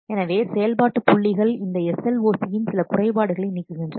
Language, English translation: Tamil, So, and function points remove some of the drawbacks of this SLOC